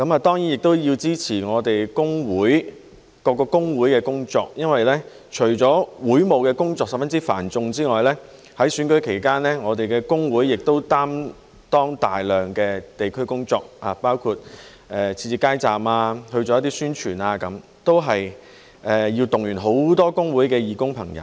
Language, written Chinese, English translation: Cantonese, 當然，我也要支持我們各個工會的工作，因為除了會務工作十分繁重之外，在選舉期間我們的工會亦擔當大量的地區工作，包括設置街站及做一些宣傳，都要動員很多工會的義工朋友。, Of course I have to support the work of our various trade unions as well considering that in addition to their own heavy workload they took on a lot work in the districts during the election period including setting up street booths and doing some publicity which inevitably required the mobilization of many fellow volunteers from the trade unions